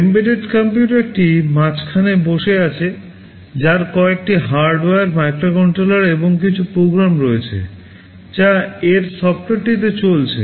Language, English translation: Bengali, The embedded computer is sitting in the middle, which has some hardware, the microcontroller and some program which is running on its software